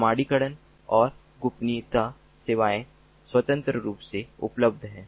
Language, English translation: Hindi, authentication and confidential services are independently available